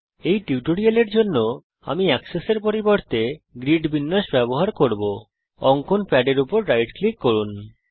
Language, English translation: Bengali, For this tutorial I will use Grid layout instead of Axes,Right Click on the drawing pad